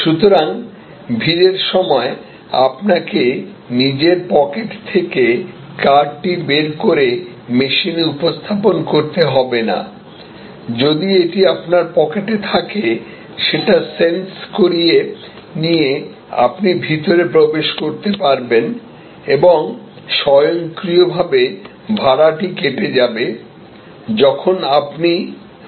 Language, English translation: Bengali, So, in the rush hours, you did not have to even take out the card from your pocket and present it to the machine, if it was in your pocket, it sensed that you have got in and it automatically debited the fare, when you went out